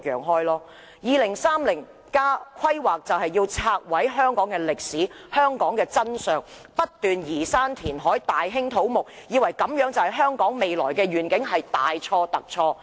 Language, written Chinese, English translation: Cantonese, 《香港 2030+》的規劃便是要拆毀和消滅香港的歷史及真相，不斷移山填海，大興土木，以為這樣便是香港未來的願景，這是大錯特錯的。, I think the planning under Hong Kong 2030 intends to remove and destroy the history and true facts of Hong Kong . It seeks to level hills reclaim land and launch large - scale development projects thinking that these measures will form Hong Kongs future which is utterly wrong